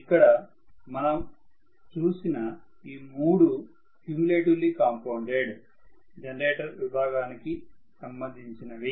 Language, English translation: Telugu, So, these 3 actually are coming under the category of cumulatively compounded generator